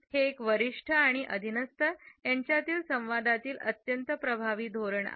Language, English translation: Marathi, This is a very effective strategy in a dialogue between a superior and subordinate